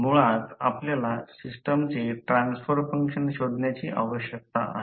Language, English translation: Marathi, Basically, we need to find out the transfer function of the system finally